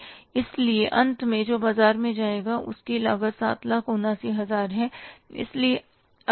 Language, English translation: Hindi, So, finally, the amount which will go to the market, the cost of that amount is 7,79,000